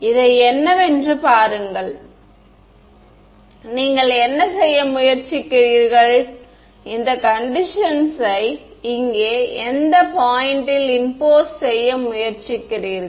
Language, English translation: Tamil, See what you are trying to do you are trying to impose this condition at which point over here